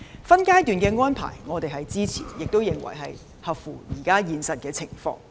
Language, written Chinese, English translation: Cantonese, 分階段的安排，我們是支持的，亦合乎現實情況。, We support this phased approach as it is in line with the reality